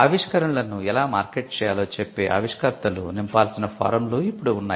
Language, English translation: Telugu, Now there are specific forms that has to be filled by the inventors which would tell how to market the invention